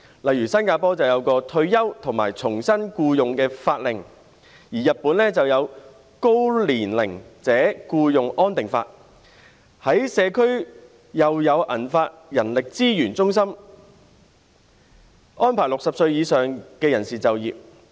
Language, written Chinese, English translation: Cantonese, 例如新加坡有一項《退休與重新僱用法令》、日本就有《高年齡者僱用安定法》，在社區又有銀髮人力資源中心，安排60歲以上人士就業。, For example in Singapore there is the Retirement and Re - employment Act and in Japan there is the Act on Stabilization of Employment of Elderly Persons and in their local communities there are human resource centres for silver - haired people to arrange employment for people aged 60 or more